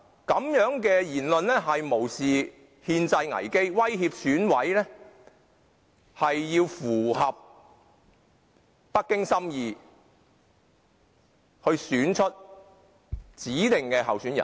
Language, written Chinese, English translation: Cantonese, 這樣的言論無視憲制危機，威脅選委要符合北京心意，選出其所指定的候選人。, Such a remark has totally disregarded the constitutional crisis coercing EC members to vote according to the will of Beijing to ensure that its favoured candidate would be elected